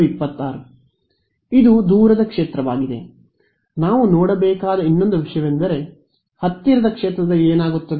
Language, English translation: Kannada, Also this is far field the other thing we should look at is what happens in the near field right